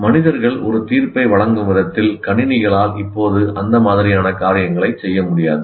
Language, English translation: Tamil, But the computers cannot exercise judgment with the ease of human judgment